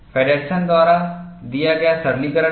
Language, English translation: Hindi, There is a simplification given by Feddersen